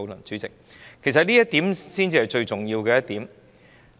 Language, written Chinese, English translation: Cantonese, 主席，這才是最重要的一點。, President this is the most important point